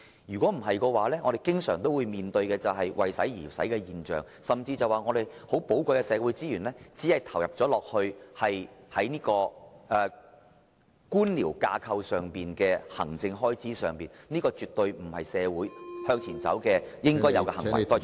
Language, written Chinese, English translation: Cantonese, 否則，政府將會經常出現"為使而使"的情況，甚至令到我們寶貴的社會資源浪費在官僚架構的行政開支上，而這絕對不是社會......向前走應有的行為......, Otherwise spending money for the sake of spending money will become a norm in government departments and our valuable social resources will be wasted in the form of administrative expenses arising from the bureaucratic structure which is absolutely not our way forward